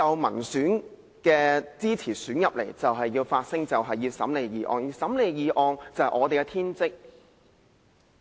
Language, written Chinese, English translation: Cantonese, 民選立法會議員需要發聲，審理議案是我們的天職。, As Legislative Council Members elected by the people we are duty - bound to speak out and deal with motions